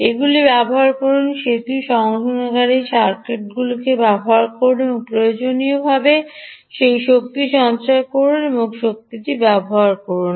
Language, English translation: Bengali, use them, put them through a bridge rectifier circuit, ah, and essentially ah, store that energy and use this energy